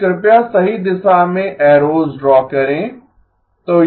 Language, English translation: Hindi, So please draw the arrows in the right direction